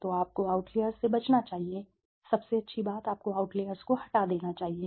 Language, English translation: Hindi, So, you should avoid outliers, you should remove the outliers the best thing, right